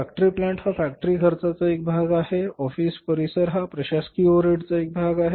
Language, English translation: Marathi, Consumable stores are always required in the factory cost, office premises is the part of the administrative overheads